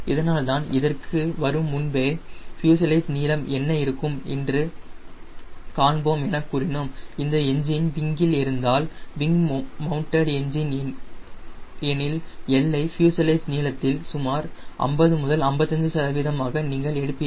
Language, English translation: Tamil, so that is why, before coming to this, we said, let us see what will be the fuselage length if the engine is at the wing, wing mounted engine, then l you take around fifty to fifty five percent of fuselage length